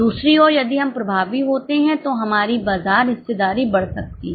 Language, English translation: Hindi, Other way around if we are effective, our market share can increase